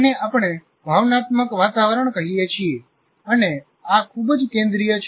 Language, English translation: Gujarati, So this is what we call the emotional climate and this is very central